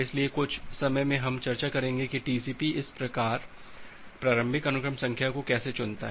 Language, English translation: Hindi, So, in a moment we will discuss that how TCP chooses this initial sequence number